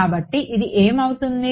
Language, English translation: Telugu, So, what is this going to be